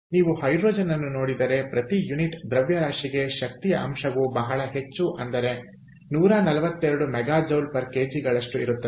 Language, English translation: Kannada, so if you look at hydrogen, the energy content per unit mass is very high, one forty two mega joules per kg